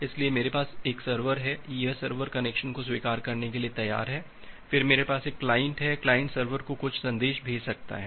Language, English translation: Hindi, So, I have a server, that server is ready to accept the connection, then I have a client, the client can send certain messages to the server